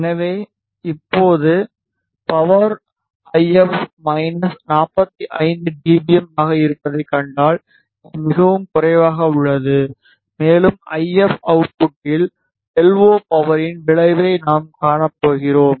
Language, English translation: Tamil, So, right now if you see the power is minus 45 dBm a type which is quite low and we are going to see the effect of LO power on the if output